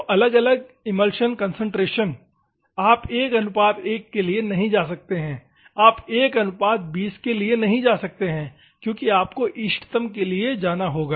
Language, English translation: Hindi, So, varying emulsion concentrations you cannot go for go by 1 is to 1, you can cannot go by 1 is to 20 so, you have to go for the optimum